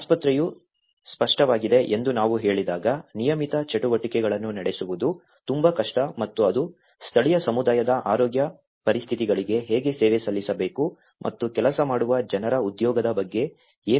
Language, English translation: Kannada, When we say hospital has been obvious, it is very difficult to carry on the regular activities and how it has to serve the local communityís health conditions and what about the employment of those people who are working